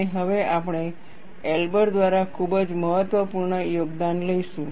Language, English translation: Gujarati, And now, we will take up a very important contribution by Elber